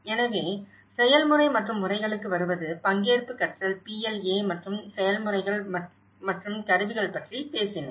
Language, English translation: Tamil, So, coming to the process and methods; we talked about the participatory learning PLA and action methods and tools